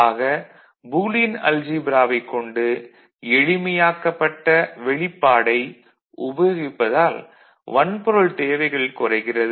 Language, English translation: Tamil, So, by using Boolean algebra by simplifying relationship, we see that the hardware requirement is reduced